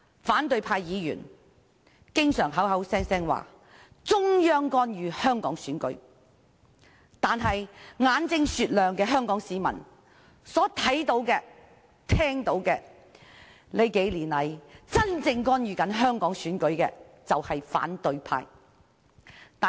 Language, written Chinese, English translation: Cantonese, 反對派議員經常聲稱中央干預香港選舉，但眼睛雪亮的香港市民看到和聽到，數年來真正干預香港選舉的其實是反對派。, Opposition Members have often accused the Central Authorities of interfering in Hong Kongs elections but those Hong Kong people with discerning eyes can see and hear that it is actually the opposition camp which has really interfered in Hong Kongs elections in recent years